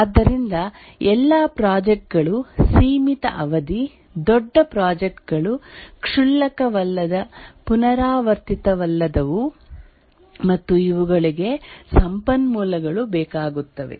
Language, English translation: Kannada, So, all projects are of finite duration, large projects, non trivial, non repetitive, and these require resources